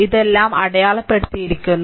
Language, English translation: Malayalam, So, all this things are marked